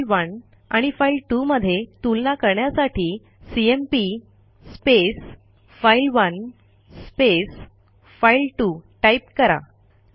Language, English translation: Marathi, To compare file1 and file2 we would write cmp file1 file2